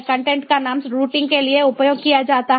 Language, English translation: Hindi, the name of the content is used for routing